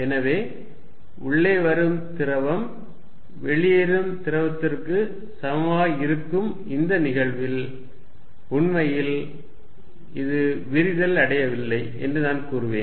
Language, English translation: Tamil, So, suppose fluid coming in is equal to fluid going out in that case I would say it is not really diverging whatever comes in goes out